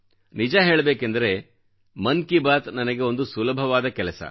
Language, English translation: Kannada, Actually, Mann Ki Baat is a very simpletask for me